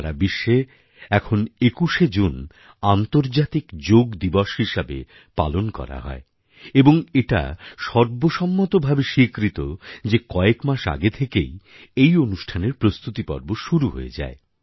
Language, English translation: Bengali, The 21stof June has been mandated and is celebrated as the International Yoga Day in the entire world and people start preparing for it months in advance